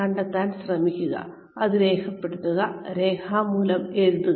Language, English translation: Malayalam, Try to find out, note it down, put it down in writing